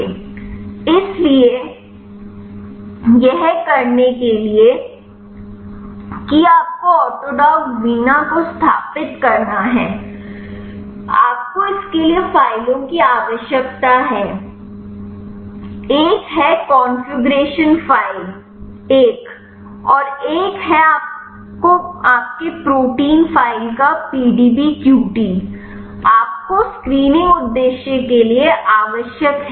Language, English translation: Hindi, So, in order to do that you have to install the autodock vina, you need to files for it one is configuration file another one is the PDBQT of your protein file, you needed for the screening purpose